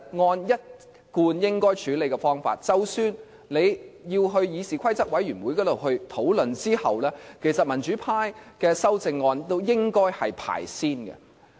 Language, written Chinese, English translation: Cantonese, 按照一貫的處理方法，即使要先在議事規則委員會討論，民主派的修正案其實都應該排在前面。, These amendments while need to be first discussed at the Committee on Rules of Procedure should still be put before other RoP amendments during the Council debate according to the usual practice